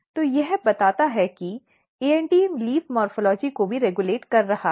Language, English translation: Hindi, So, this suggests that ANT is also regulating leaf morphology